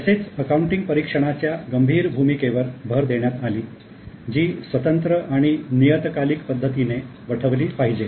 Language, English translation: Marathi, Also it was emphasized the critical role of audit which needs to be independent and should be carried out in a periodic manner